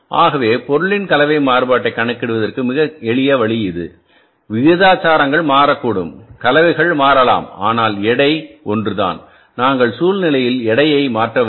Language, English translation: Tamil, So, this is a very simple way of calculating the material mix variance in a situation when the proportions may change, mixes may change but the weight is same and we have not changed the weight